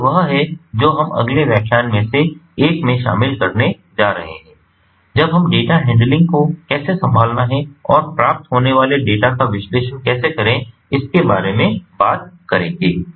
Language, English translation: Hindi, so this is what we are going to cover in ah one of the next lectures, when ah we talk about, ah, how to handle data, data handling and how to analyze the data that is received